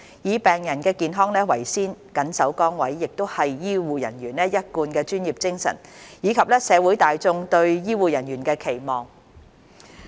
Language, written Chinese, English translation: Cantonese, 以病人的健康為先、緊守崗位，亦是醫護人員一貫的專業精神，以及社會大眾對醫護人員的期望。, It has also been the professionalism and the expectation of the general public for the healthcare professionals to accord priority to patients health and stand fast at their posts